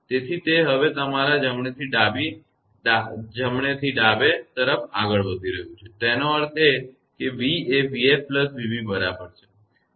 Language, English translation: Gujarati, So, it is moving now from your right to left, right to left; that means, v is equal to v f plus v b